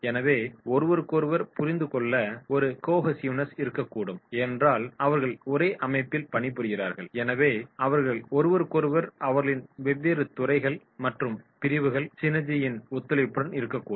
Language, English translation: Tamil, So therefore, there might be a cohesiveness to understand each other because they are working in the same organisation so they might be supporting each other, their departments, their synergies of different sections that will be having the cohesiveness right